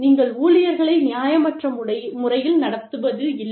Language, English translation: Tamil, You do not treat employees, unfairly